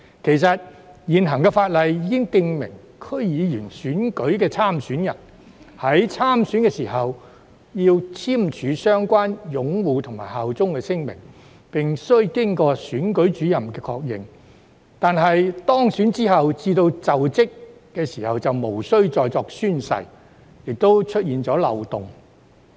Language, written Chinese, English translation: Cantonese, 事實上，現行法例已訂明區議會選舉的參選人，在參選時須簽署相關的擁護和效忠聲明，並須經選舉主任確認，但由當選至就職卻無須再作宣誓，因而出現漏洞。, In fact existing laws have stipulated that candidates who stand for DC election must sign relevant declarations to uphold the Basic Law and swear allegiance and the candidates must seek confirmation from the Returning Officer . However they are not required to take oath again when assuming office thus creating a loophole